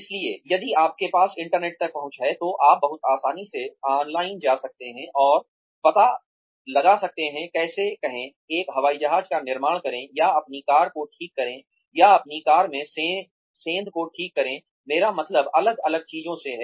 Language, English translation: Hindi, So, if you have access to the internet, you can very easily go online, and find out, how to say, build an Airplane, or fix your car, or fix a dent in your car, I mean different things